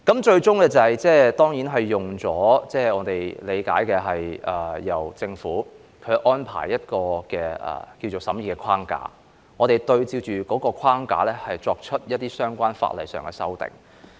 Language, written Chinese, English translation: Cantonese, 最終，據我理解，政府安排了一個所謂審議框架，按照框架作出相關法例修訂。, Eventually as far as I understand it the Government arranged a so - called framework for scrutiny under which relevant legislative amendments were made